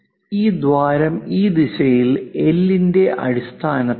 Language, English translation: Malayalam, This hole is at a location of L in this direction